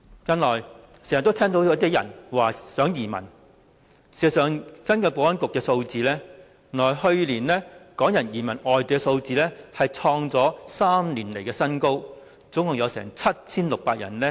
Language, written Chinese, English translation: Cantonese, 近來經常聽到有些人說想移民，根據保安局的數字，去年港人移民外地的數字創下3年來的新高，共有 7,600 人。, I have recently often heard people saying that they want to emigrate . According to the figures provided by the Security Bureau the number of Hong Kong people emigrating to other places last year reached a three - year record high of 7 600